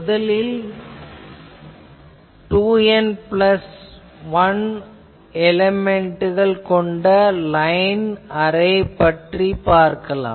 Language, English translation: Tamil, Now, first let us look at a line array with 2 N plus 1 elements